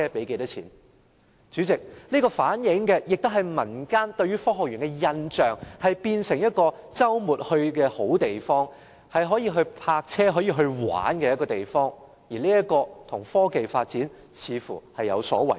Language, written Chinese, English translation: Cantonese, 代理主席，這亦反映出民間對科學園的印象是它變成了周末的好去處，是可以泊車和遊玩的地方，這似乎與科技的發展有所違背。, Deputy Chairman it reveals the publics impression of Science Park . They regard Science Park a place to visit on weekends with parking lots and for fun which seems to run contrary to the purpose of technology development